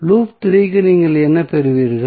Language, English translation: Tamil, For loop 3 what you will get